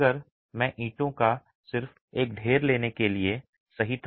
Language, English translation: Hindi, If I were to take just a stack of bricks, right